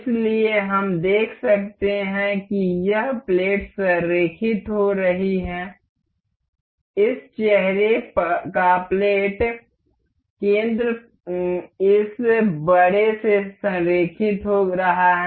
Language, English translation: Hindi, So, we can see the this plate is getting aligned, the plate center of this face is getting aligned to this larger one